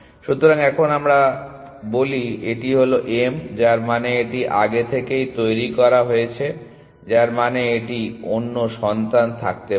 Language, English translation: Bengali, So, let us say now this is m, which means it was already generated before which means it could have other children